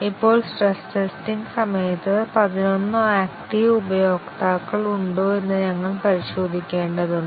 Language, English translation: Malayalam, Now, during stress testing we have to check that if there are eleven active users